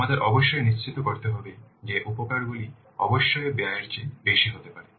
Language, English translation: Bengali, We must ensure that the benefits must outweigh the costs